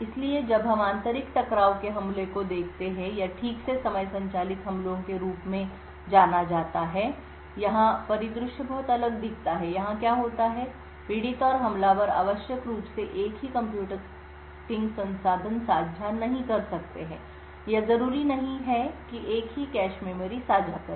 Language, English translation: Hindi, So now we look at internal collision attacks or properly known as time driven attacks, here the scenario looks very different, here what happens is that the victim and the attacker may not necessarily share the same computing resource, or may not necessarily share the same cache memory